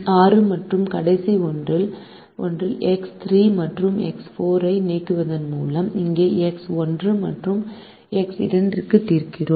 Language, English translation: Tamil, the six and the last one is: we solve for x one and x two here by eliminating x three and x four